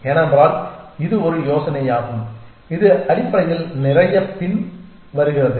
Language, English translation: Tamil, Because it is an idea which is has a lot of follows essentially